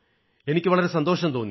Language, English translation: Malayalam, That gave me a lot of satisfaction